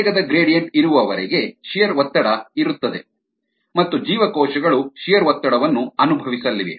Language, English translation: Kannada, as long as there are velocity gradients there is going to be shear stress and the cells are going to experience shear stress